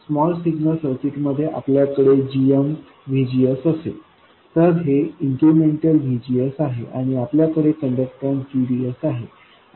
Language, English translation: Marathi, In the small signal circuit we'll have GM VGS where this is the incremental VGS and we have the conductance GDS